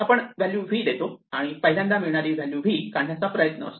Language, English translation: Marathi, We provide a value v and we want to remove the first occurrence of v